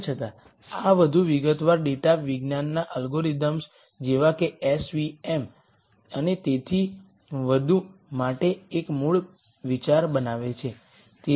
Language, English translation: Gujarati, Nonetheless this forms a basic idea for more sophisticated data science algorithms like s v m and so on